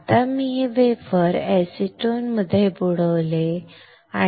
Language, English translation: Marathi, Now I have dipped this wafer in acetone